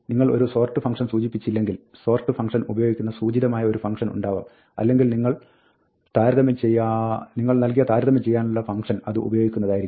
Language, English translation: Malayalam, If you do not specify a sort function, there might be an implicit function that the sort function uses; otherwise it will use the comparison function that you provide